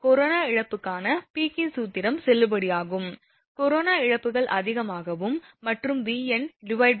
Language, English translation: Tamil, Now, Peek's formula for corona loss is valid, when corona losses are predominant and the ratio V n by V 0 greater than 1